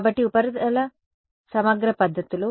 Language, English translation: Telugu, So, surface integral methods